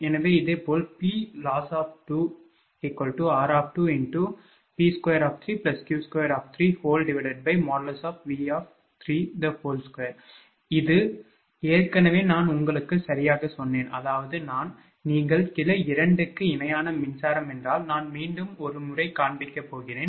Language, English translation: Tamil, So, similarly PLoss 2 will be r 2 into P 3 square plus Q 3 square upon V 3 square, this already I have told you right, that I mean; if you just that electrical equivalent of branch 2 if you take just hold down I will show you once again